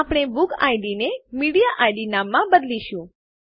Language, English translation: Gujarati, We will rename the BookId to MediaId